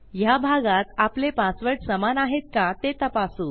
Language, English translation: Marathi, At the part where we compare our passwords to check if they match